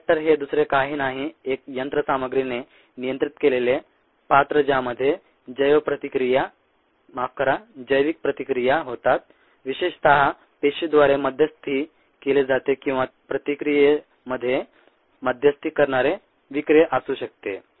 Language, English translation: Marathi, ah, bioreactor is nothing but an instrumented, controlled vessel in which bioreactions take place, typically mediated by cells, or it could be an enzyme that mediates the reaction